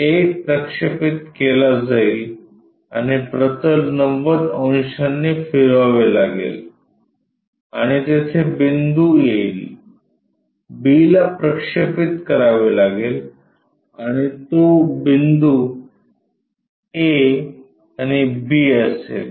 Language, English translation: Marathi, A will be projected and the plane has to be rotated by 90 degrees and there will be the point, b has to be projected and that point will be a and b